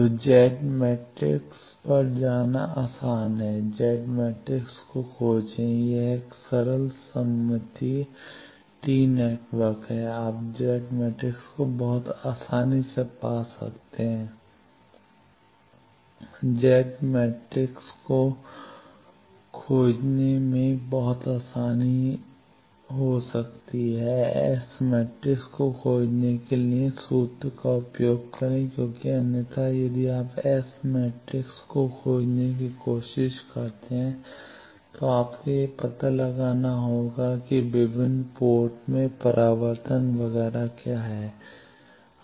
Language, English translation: Hindi, So, it is easier to go to Z matrix find the Z matrix of this is a simple symmetrical t network, you can very easily find Z matrix find the Z matrix from Z matrix; use the formula to find S matrix because otherwise if you try to find S matrix you will have to find out what is the reflection etcetera at various ones